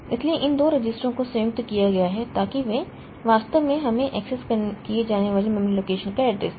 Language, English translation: Hindi, So, these two registers combined so data they actually give us the address of the memory location to be accessed